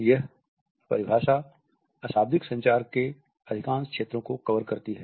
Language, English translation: Hindi, This definition covers most of the fields of nonverbal communication